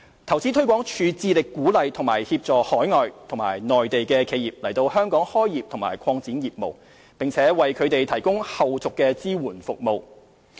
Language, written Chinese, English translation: Cantonese, 投資推廣署致力鼓勵及協助海外及內地的企業來港開業或擴展業務，並為它們提供後續支援服務。, InvestHK is committed to encouraging and assisting overseas and Mainland enterprises to set up or expand their business operations in Hong Kong and providing aftercare services to them